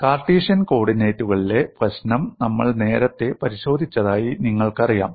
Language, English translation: Malayalam, And you know we have looked at the problem in Cartesian coordinates earlier